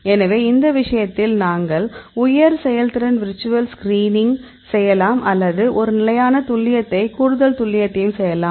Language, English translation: Tamil, So, in this case we can do the high throughput virtual screening or you can do a standard precision and the extra precision available